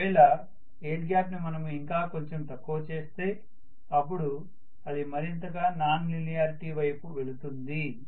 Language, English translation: Telugu, If I reduce the air gap further and further it will go further and further towards non linearity